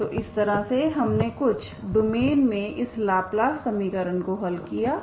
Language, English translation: Hindi, So this is how we have solved this Laplace equation in certain domains